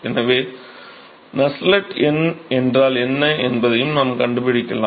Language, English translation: Tamil, So, we can also find out, what is Nusselt number